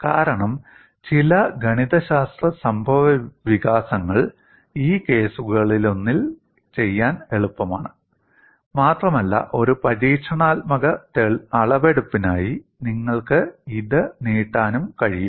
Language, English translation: Malayalam, The reason is certain mathematical developments are easier to do in one of these cases, and also, you could extend it for an experimental measurement